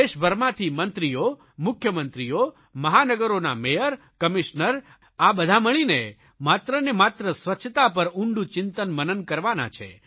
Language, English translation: Gujarati, Ministers, Chief Ministers as also Mayors and Commissioners of metropolitan cities will participate in brainstorming sessions on the sole issue of cleanliness